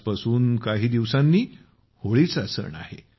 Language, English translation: Marathi, Holi festival is just a few days from today